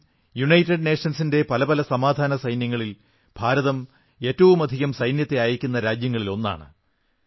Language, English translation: Malayalam, Even today, India is one of the largest contributors to various United Nations Peace Keeping Forces in terms of sending forces personnel